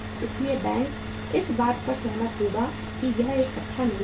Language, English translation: Hindi, So bank would agree that it is a good investment